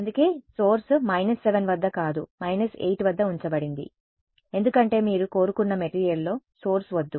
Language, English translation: Telugu, That is why the source was put at the minus 7 not at minus 8 because you do not want source in the material you wanted just outside ok